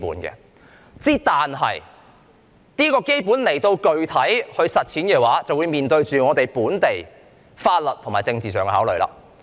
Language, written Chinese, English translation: Cantonese, 但是，要實踐這些基本原則，便須面對本地法律及政治上的考慮。, However in order to implement these basic principles we have to make legal and political considerations in the local context